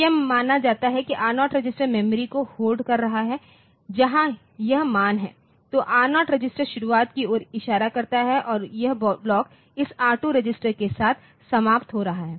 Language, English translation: Hindi, So, it is assumed that the R0 register is holding the if this is the memory where this values are there then the R0 register is pointing to the beginning and this block is ending with a this R2 register